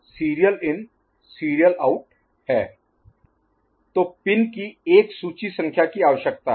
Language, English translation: Hindi, So, that requires a list number of pins